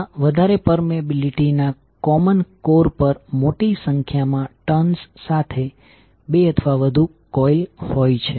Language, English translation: Gujarati, So it consists of two or more coils with a large number of turns wound on a common core of high permeability